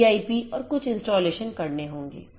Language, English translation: Hindi, 1 and pip and few more installations will have to be done